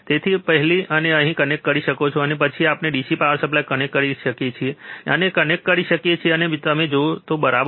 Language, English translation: Gujarati, So, we can first connect it here, and then we can apply the DC power supply, first we can connect and then if you apply, alright